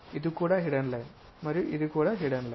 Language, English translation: Telugu, There is hidden line there and also there is a hidden line